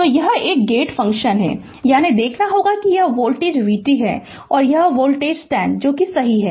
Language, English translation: Hindi, So, it is a gate function so at; that means, you have to see that this voltage this is v t and this voltage is 10 volt right